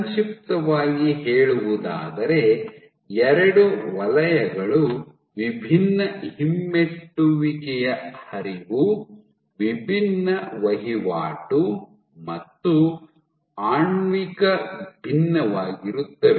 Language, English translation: Kannada, So, in short what you have is two zones which exhibit distinct retrograde flow, distinct turnover and also are molecularly distinct